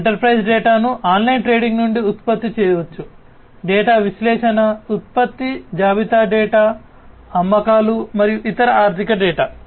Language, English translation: Telugu, Enterprise data can be generated, are generated from online trading, data analysis, production inventory data, sales and different other financial data